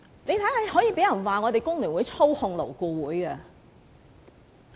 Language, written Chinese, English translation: Cantonese, 現在竟然有人批評工聯會操控勞顧會！, And now some people are even accusing FTU of controlling LAB!